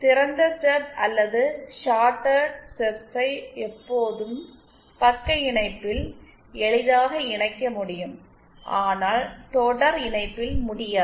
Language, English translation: Tamil, Open stubs or shorted stubs can always can be easily connected in shunt but not in series